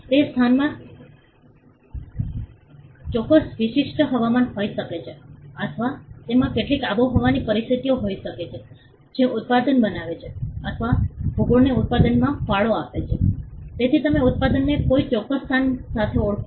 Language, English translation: Gujarati, That place may have certain special weather, or it could have some climatic conditions which makes the product or contributes the geography contributes to the product, so you identify the product with a particular place